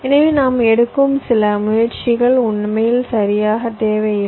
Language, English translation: Tamil, so maybe some of the efforts that we are putting in are not actually required, right